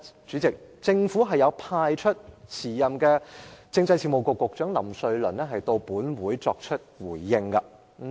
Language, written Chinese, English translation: Cantonese, 主席，政府當時派出了政制及內地事務局局長林瑞麟前來回應。, President the Government at that time asked Secretary for Constitutional and Mainland Affairs Stephen LAM to give a reply in this Council